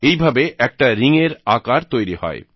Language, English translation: Bengali, Hence, a ringlike shape is formed